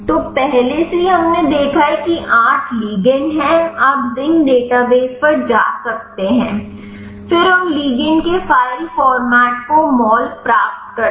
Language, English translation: Hindi, So, already we have seen there are 8 ligands you can go to zinc database, then get the retrieve the mol to file format of those ligands